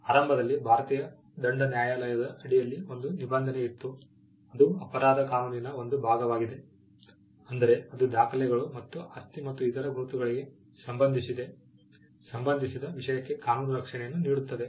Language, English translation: Kannada, Initially there was a provision under the Indian penal court, which is a part of the criminal law; which pertained to offenses relating to documents and property marks, and it also had offenses relating to property and other marks